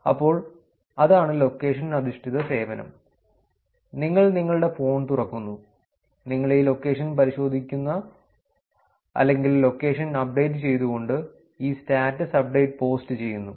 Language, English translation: Malayalam, So, that is location based service, you open your phone, you check into this location or post this status update with the location updated in it